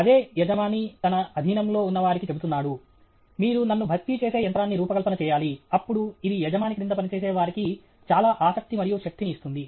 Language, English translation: Telugu, That’s the boss telling his subordinates, you design a machine which will replace me; then, it gives so much kick and energy to the subordinate okay